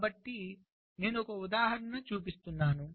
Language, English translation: Telugu, so we have i shall show an example